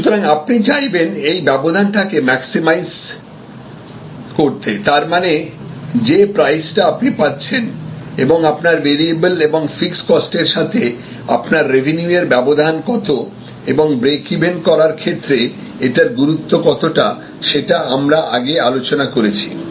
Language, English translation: Bengali, So, you would like to maximize this gap; that means, the price that your getting versus your cost and these differences are variable cost, fixed cost and the revenue and it is importance with respect to the break even, volume, etc, we discussed earlier